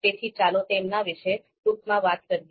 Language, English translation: Gujarati, So let us talk about them in brief